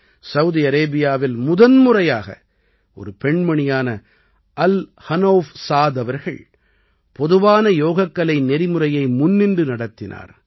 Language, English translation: Tamil, For the first time in Saudi Arabia, a woman, Al Hanouf Saad ji, led the common yoga protocol